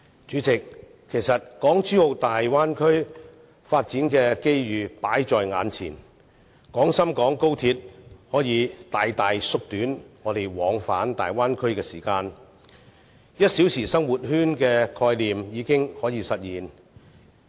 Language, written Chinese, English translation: Cantonese, 主席，其實港珠澳大灣區發展的機遇擺在眼前，而高鐵可以大大縮短我們往返大灣區的時間 ，"1 小時生活圈"的概念已可實現。, President we actually have before us the opportunities arising from the development of the Guangdong - Hong Kong - Macao Bay Area and XRL can significantly shorten the time of travel to and from the Bay Area thereby materializing the concept of one - hour living circle